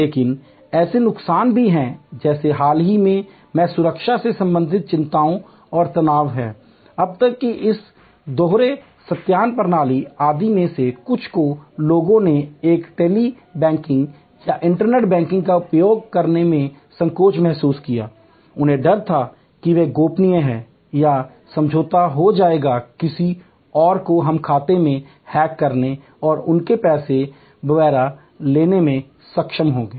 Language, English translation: Hindi, But, there are disadvantages like there are anxieties and stress related to security till very recently, till some of this double verification systems etc were introduced people felt hesitant to use a Tele banking or internet banking, fearing that they are confidential it will become compromised or somebody else we will be able to hack into the account and take away their money and so on